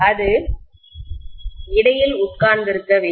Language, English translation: Tamil, That should be sitting in between